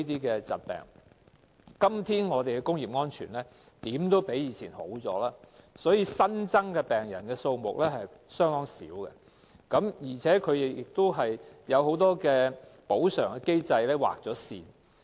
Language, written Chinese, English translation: Cantonese, 今天，我們的工業安全總比以往有所改善，所以新增的病人數目相當少，而且很多補償機制已經劃線。, Industrial safety today is better than that in the past anyhow which explains the small number of new cases nowadays . Furthermore many compensation mechanisms have already been cut off at present